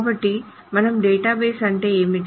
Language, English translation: Telugu, So this is what is a database